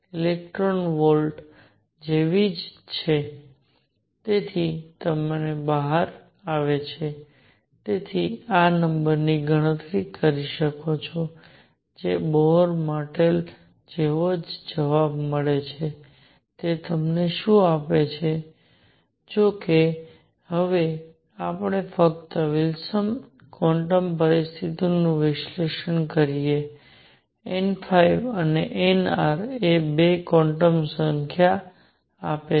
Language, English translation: Gujarati, 6 z square over n square electron volts you can calculate this number in that comes out to be, which is exactly the same answer as the Bohr model; what it gives you; however, are now let us just analyze this the Wilson quantum conditions give 2 quantum numbers n phi and n r